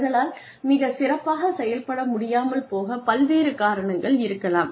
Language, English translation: Tamil, So, there could be various reasons, why they are not able to perform to their best